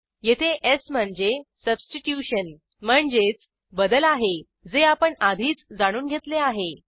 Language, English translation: Marathi, This is s that stands for substitution, as we have already seen